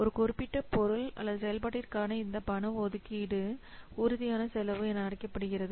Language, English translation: Tamil, An outlay of the cash for a specific item or activity is referred to as a tangible cost